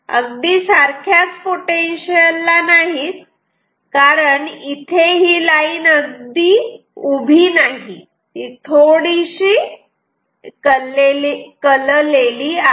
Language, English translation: Marathi, Not at exact same potential because this line is not exactly vertical this is slightly tilted ok